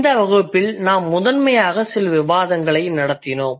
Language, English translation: Tamil, So we in this class, we primarily had some discussion